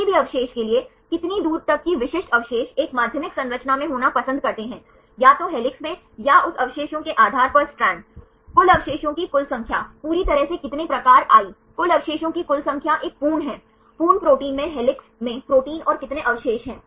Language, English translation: Hindi, for any residue, how far that specific residue prefers to be in in a secondary structure, either helix or strand based on that residues in helix, total number of residues, totally how many of type i, total number of the whole residues is a full protein and how many residues in helix in the complete protein